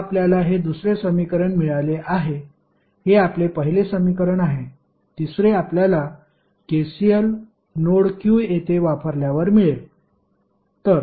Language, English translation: Marathi, Now, you have got the second equation this was your first equation, the third which you will get is using KCL at node Q